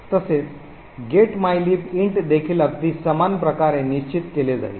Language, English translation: Marathi, Similarly, the getmylib int would also be fixed in a very similar manner